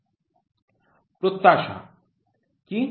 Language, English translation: Bengali, What is expectation